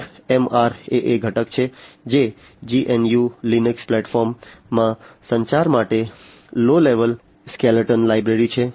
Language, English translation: Gujarati, One is the MRAA component which is a low level skeleton library for communication in the GNU Linux platform